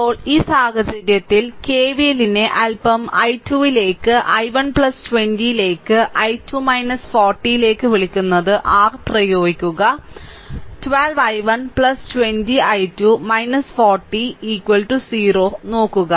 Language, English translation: Malayalam, So, now, in this case, you apply your what you call the KVL a little bit 12 into i 1 plus 20 into i 2 minus 40 will be is equal to 0, look 12 i 1 plus 20 i 2 minus 40 is equal to 0